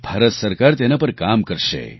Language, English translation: Gujarati, The Government of India will work on that